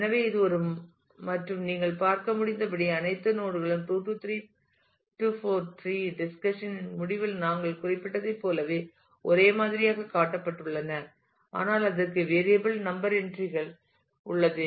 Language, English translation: Tamil, So, this is this is a and as you can as you can see that though all nodes are shown to be of the same type as we had mentioned at the end of the 2 3 4 tree discussion, but it has variable number of entries